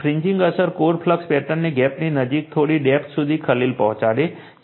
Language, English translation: Gujarati, The fringing effect also disturbs the core flux patterns to some depth near the gap right